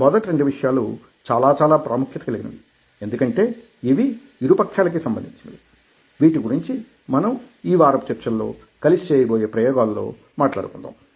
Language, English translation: Telugu, so the two first two things are very, very significant because these are the two ways issues will be addressing during our experiments that will be doing together in this lessons